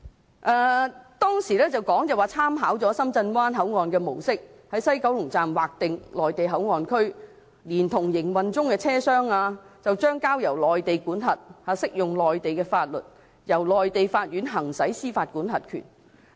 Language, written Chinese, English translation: Cantonese, 政府當時表示，已參考深圳灣口岸的模式，在西九龍站劃定內地口岸區，連同營運中的車廂，將交由內地管轄，適用內地法律，由內地法院行使司法管轄權。, The Government said back then that after taking reference from the Shenzhen Bay Port model it designated a Mainland Port Area MPA at the West Kowloon Station . MPA together with the train compartments in operation would be subject to the jurisdiction of the Mainland Mainland laws would apply to matters in MPA and the courts of the Mainland would exercise jurisdiction over such matters